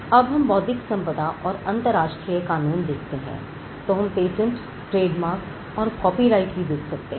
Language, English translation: Hindi, So, when we look at intellectual property and international law, we can look at patterns, trademarks and copyrights